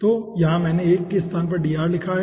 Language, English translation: Hindi, so here i have written that 1 in place of dr